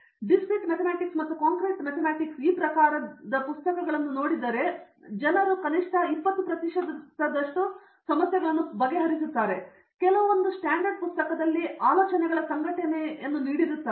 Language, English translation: Kannada, These type of Discrete Mathematics and Concrete Mathematics if people look in to it just solve at least 20 percent of the problems in some of the standard book there that will give them the organization of ideas